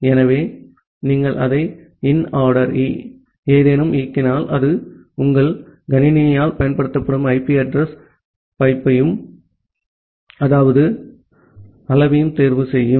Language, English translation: Tamil, So, if you are run it as inaddr any, it will choose the IP address which is used by your machine and then the size